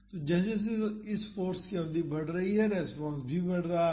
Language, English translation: Hindi, So, as the duration of this force is increasing the response is also increasing